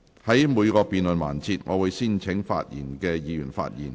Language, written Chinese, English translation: Cantonese, 在每個辯論環節，我會先請想發言的議員發言。, In each debate session I will first call upon those Members who wish to speak to speak